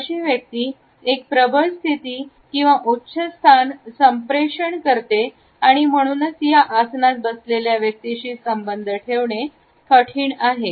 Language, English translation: Marathi, It also communicates a dominant position or a superior position and therefore, it may be difficult to relate to this person who is sitting in this posture